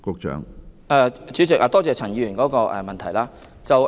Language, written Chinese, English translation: Cantonese, 主席，多謝陳議員提出的補充質詢。, President I thank Mr CHAN for his supplementary question